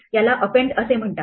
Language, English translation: Marathi, This is called append